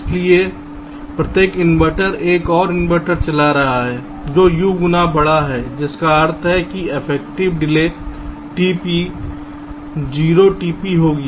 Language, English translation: Hindi, so so each inverter is driving another inverter which is u times larger, which means the affective delay will be t p, zero t p